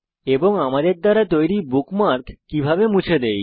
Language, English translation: Bengali, And how do we delete a bookmark we created